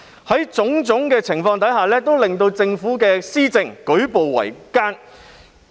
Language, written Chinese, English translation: Cantonese, 這種種情況都令政府施政舉步維艱。, All these have made it enormously difficult for the Government to implement its policies